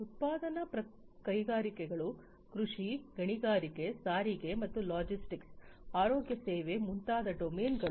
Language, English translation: Kannada, Domains such as manufacturing industries, agriculture, mining, transportation and logistics, healthcare, and so on